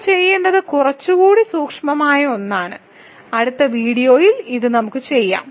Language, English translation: Malayalam, So, what we need to do is something slightly more subtle and we will do this later in a couple of in the next video I think ok